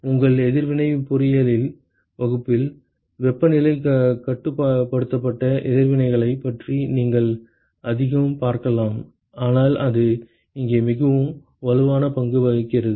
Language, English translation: Tamil, You will see a lot more about temperature controlled reactions in your reaction engineering class, but it plays a very strong role here